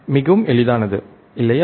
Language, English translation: Tamil, Is it easy or not